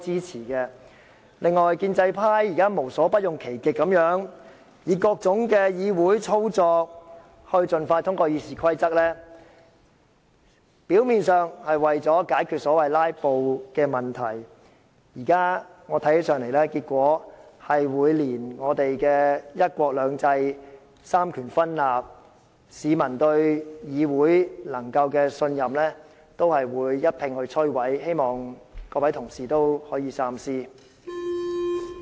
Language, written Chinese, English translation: Cantonese, 此外，建制派現在無所不用其極，以各種議會程序務求盡快通過《議事規則》的修訂，表面上是為了解決所謂"拉布"的問題，但在我看來，此舉會把香港的"一國兩制"、三權分立、市民對議會的信任一併摧毀，希望各位同事可以三思。, In addition pro - establishment Members have resorted to every conceivable means and adopted various parliamentary procedures with a view to passing the amendments to RoP as soon as possible . On the face of it the intent is to resolve the so - called filibustering issue but in reality one country two systems separation of powers in Hong Kong as well as the publics trust in the Legislative Council will be totally destroyed . I hope Honourable colleagues will think twice